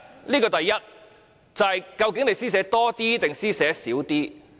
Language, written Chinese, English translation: Cantonese, 這是第一：究竟你會施捨多一點還是少一點？, The first point is that it is at your mercy to grant us more time or less time